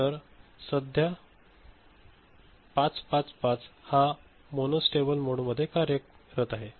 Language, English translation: Marathi, So, that is a 555 working in a mono stable mode right